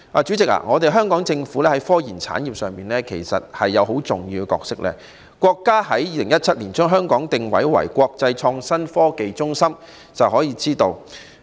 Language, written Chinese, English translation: Cantonese, 主席，香港政府在科研產業上有很重要的角色，從國家在2017年將香港定位為國際創新科技中心便可知一二。, President the Hong Kong Government has a very important role to play in the scientific research industry as evidently shown by the countrys positioning of Hong Kong as an international innovation and technology hub in 2017